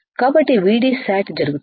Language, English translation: Telugu, So, when VD set will occur